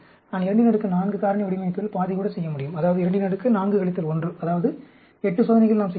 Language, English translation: Tamil, I can even do half of 2 power 4 factorial design, that is, 2 power 4 minus 1, that is, 8 experiments, also we can do